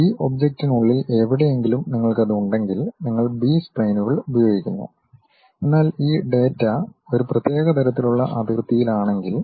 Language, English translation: Malayalam, Somewhere inside of that object you have it then you use B splines, but if these data points on one particular kind of boundary